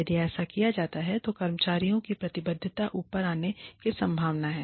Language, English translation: Hindi, If, that is done, the commitment of the employees, is likely to go up